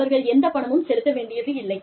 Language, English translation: Tamil, They do not have to pay, anything